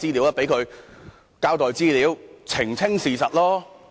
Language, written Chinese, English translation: Cantonese, 就讓他前來交代資料，澄清事實吧。, Just let him come here to give an account and clarify the facts